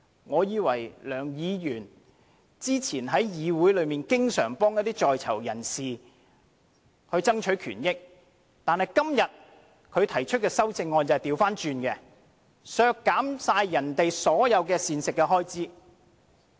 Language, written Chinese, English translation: Cantonese, 我以為梁議員早前在議會中經常幫一些在囚人士爭取權益，但今天他提出的修正案卻是相反，要削減人家所有的膳食開支。, I used to regard Mr LEUNG as an advocate of prisoners rights in this Chamber but his amendments today all run counter to his advocacy and he even proposes to cut the catering expenditure for them . There is one more thing